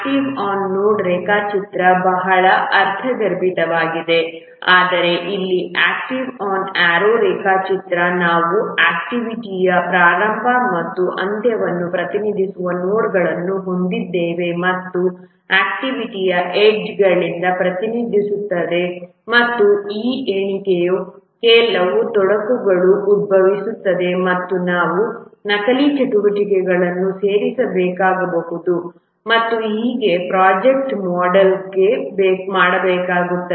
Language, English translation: Kannada, Whereas here in the activity on arrow diagram we have nodes representing start and end of activity and the activity itself is represented by edges and on that count there are few complicacies that arise and we might have to insert dummy activities and so on to model a project